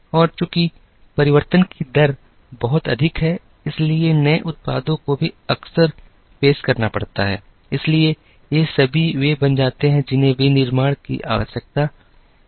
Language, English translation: Hindi, And since the rate of change is much higher, the new products also have to be introduced frequently, so all these become what is called the requirements of manufacturing